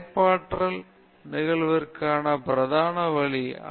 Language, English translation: Tamil, What is the principle way for occurrence of creativity